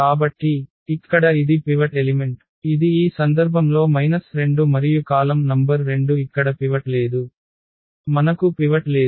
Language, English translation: Telugu, So, here this is the pivot element which is minus 2 in this case and the column number two does not have a pivot here also we do not have pivot